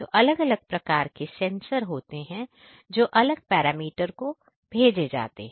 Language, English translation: Hindi, So, we have different sensors which basically sends different parameters as Mr